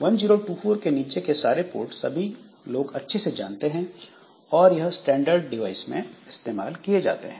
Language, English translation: Hindi, So, all ports below 2024 are well known and they are used for standard devices